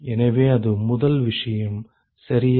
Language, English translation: Tamil, So, that is the first thing ok